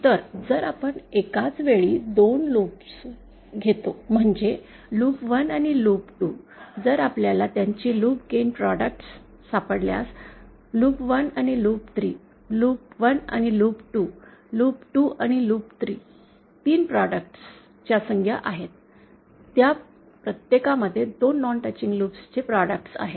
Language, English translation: Marathi, So, if we take to loops at one time, that is say loop 1 and loop 2, if we find out their loop gain products, loops 1 and loop 3, loop 1 and loop 2, loop 2 and loop 3, so we will have 3 product terms, each containing the products of 2 non touching loops